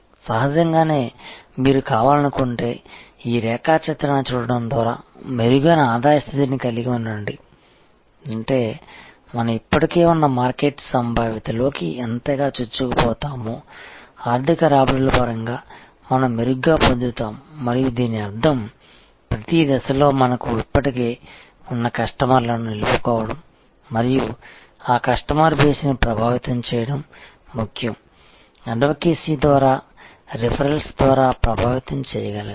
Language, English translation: Telugu, Obviously, if you want to therefore, have a better revenue position by looking at these diagram; that means, that more we penetrate into the existing market potential, better we will get in terms of financial return and which means, that in each stage it is important for us to have retain the customers we already have and leverage that customer base through advocacy, through referrals to penetrate